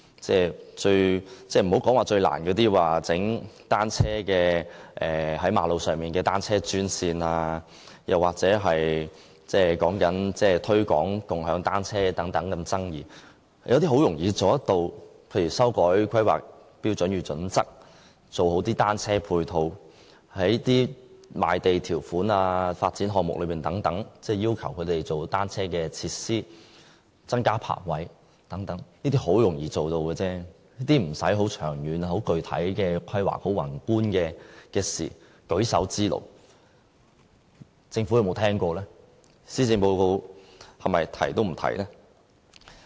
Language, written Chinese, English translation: Cantonese, 別說最難的在馬路設立單車專線，又或是推廣共享單車等這麼爭議的政策，有些事情其實是很容易做到的，例如修改《香港規劃標準與準則》、做好單車配套、在賣地條款和發展項目等要求做好單車設施、增加泊位等，這些很容易做到，無需長遠具體的規劃，亦不是很宏觀的事，只是舉手之勞。, If we just put aside the most thorny measure of providing bicycles only lanes on trunk roads and some controversial measures such as the promotion of bicycle - sharing some other measures are actually quite easy to implement . For example the motion requests revising the content of the Hong Kong Planning Standards and Guidelines improving ancillary facilities for bicycles adding a provision to the terms of Government leases and conditions of sale to require the inclusion of bicycle - related ancillary facilities as well as providing additional bicycle parking spaces . These are easy and simple tasks without the need for macro long - term and specific planning